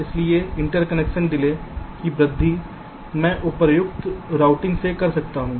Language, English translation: Hindi, so increase of the interconnection delay i can make by appropriator routing